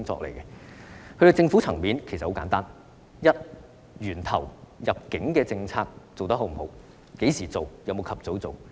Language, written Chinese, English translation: Cantonese, 至於政府層面，其實很簡單：第一，在源頭方面，入境管控政策實施得是否理想？, As for the tier involving the Government it is actually very simple . First at the source is the immigration control policy implemented satisfactorily?